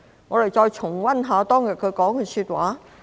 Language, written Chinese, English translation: Cantonese, 我們再重溫一下當天毛議員說的話。, Let us revisit the remarks made by Ms MO on that day